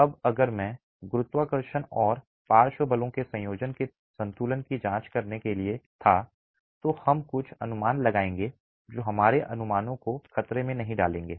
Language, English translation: Hindi, Now if I were to examine the equilibrium under a combination of gravity and lateral forces, we make little assumptions which will not jeopardize our estimations here